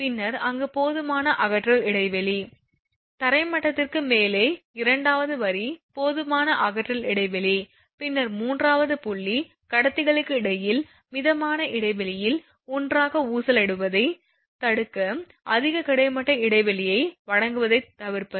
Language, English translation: Tamil, Then sufficient clearance there that is the thing, second line sufficient clearance above ground level, then third point is to avoid providing excessive horizontal spacing between conductors to prevent them swinging together in midspan